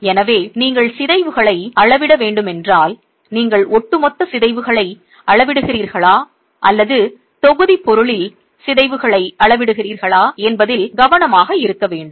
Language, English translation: Tamil, So if you were to measure deformations you have to be careful that you are measuring overall deformations or are you measuring deformations in the constituent material